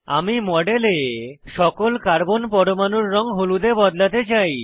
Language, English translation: Bengali, I want to change the colour of all the Carbon atoms in the model, to yellow